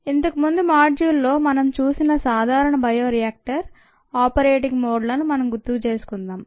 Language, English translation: Telugu, let's first recall the common bioreactor operating modes that we saw in the previous module